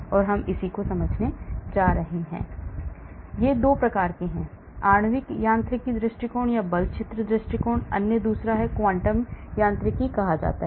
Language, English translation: Hindi, So 2 types, the molecular mechanics approach or force field approach, other one is called the quantum mechanics